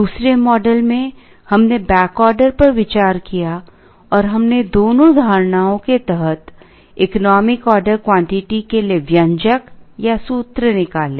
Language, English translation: Hindi, In the second model, we considered back ordering and we derived expressions for the economic order quantity under both the assumptions